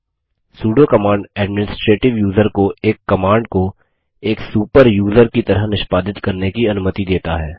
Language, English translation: Hindi, Sudo command allows the administrative user to execute a command as a super user